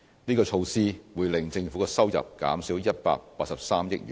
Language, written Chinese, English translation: Cantonese, 這項措施會令政府的收入減少183億元。, The revenue forgone as a result of the reduction amounts to 18.3 billion